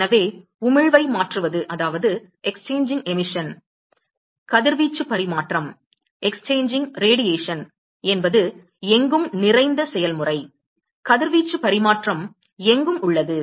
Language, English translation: Tamil, So, therefore, exchanging emission, exchanging radiation is a ubiquitous process, exchanging radiation is ubiquitous